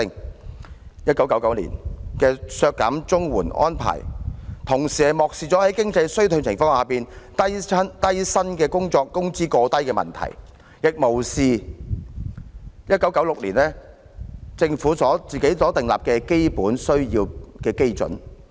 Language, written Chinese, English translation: Cantonese, 當局在1999年削減綜援的安排，同時漠視了在經濟衰退情況下，低薪工作工資過低的問題，亦無視政府在1996年訂立的基本需要基準。, The cut in CSSA in 1999 also overlooked the fact that wages for low - paid jobs were excessively low in times of economic recession and disregarded the objective basis for basic needs laid down by the Government in 1996